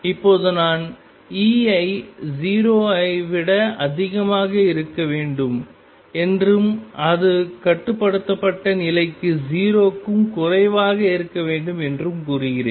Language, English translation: Tamil, Now I am claiming that E should be greater than 0 and it is less than 0 for bound state